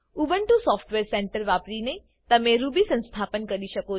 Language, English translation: Gujarati, You can install Ruby using the Ubuntu Software Centre